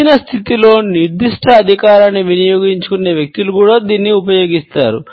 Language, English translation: Telugu, It is also used by those people who are wielding certain authority in a given position